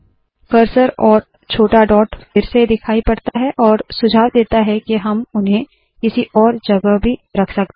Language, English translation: Hindi, The cursor and the small dot show up once again, suggesting that we can place it at some other location also